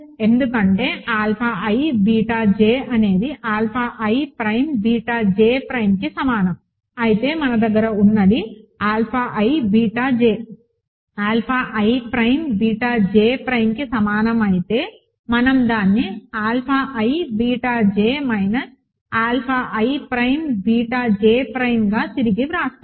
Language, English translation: Telugu, Because if alpha i beta j is equal to alpha i prime beta j prime what we have is; so, what we have is, so if alpha i beta j is equal to alpha i prime beta j prime we rewrite this as alpha i beta j minus alpha i prime beta j prime, ok